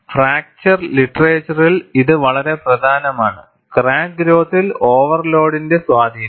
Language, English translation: Malayalam, And this is very important, in the fracture literature Influence of overload in crack growth